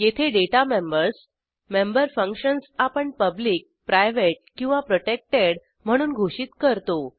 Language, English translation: Marathi, And here we have defined the Data members and the member functions as public, private and protected